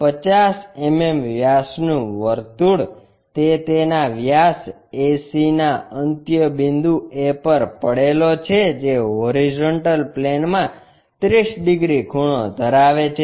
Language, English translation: Gujarati, A circle of 50 mm diameter, it is resting on horizontal plane on end A of its diameter AC which is 30 degrees inclined to horizontal plane